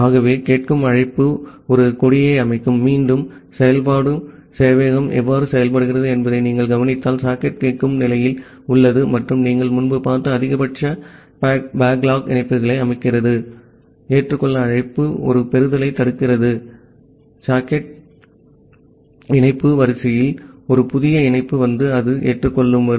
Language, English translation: Tamil, So, if you look into that how iterative server works that the listen call it sets a flag that, the socket is in the listening state and set the maximum number of backlog connections that you have seen earlier then, the accept call it blocks a receiving socket, until a new connection comes in the connection queue and it is accepted